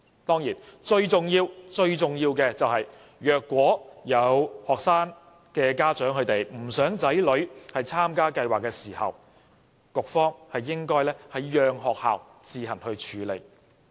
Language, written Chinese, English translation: Cantonese, 當然，最重要、最重要的是，倘若有學生家長不想子女參加計劃，局方應讓學校自行處理。, Of course if there is strong resistance from parents it would be most important for the Bureau to let the schools handle the matter themselves